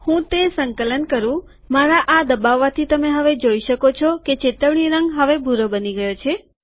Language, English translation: Gujarati, Let me compile it, when I click this you can see now that the alerted color has now become blue